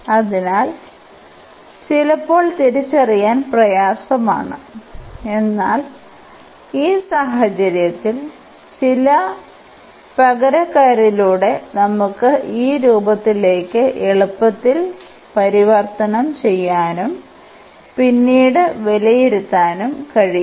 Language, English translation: Malayalam, So, sometimes difficult to recognize, but in this case it is not so difficult we by some substitution we can easily convert into this form and then we can evaluate